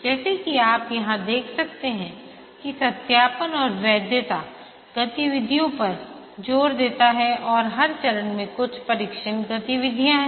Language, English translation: Hindi, As you can see here that there is emphasis on verification and validation activities and every phase there are some test activities